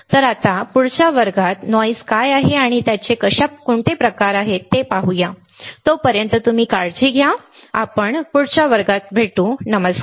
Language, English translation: Marathi, So, now, in the next class, let us see how the noise what is noise and what are kind of noises, till then you take care, I will see in the next class, bye